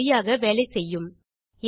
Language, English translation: Tamil, This will work for sure